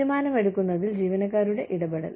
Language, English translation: Malayalam, Employee engagement in decision making